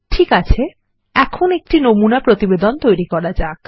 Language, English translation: Bengali, Okay, now, let us create a sample report